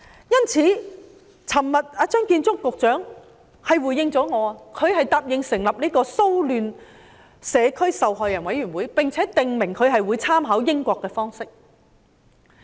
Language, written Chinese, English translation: Cantonese, 昨天，張建宗局長回應我，他答應成立騷亂、社區及受害者委員會，並且訂明會參考英國的方式。, Yesterday Secretary Matthew CHEUNG responded to me . He promised to set up a riots communities and victims panel making reference to the approach of the United Kingdom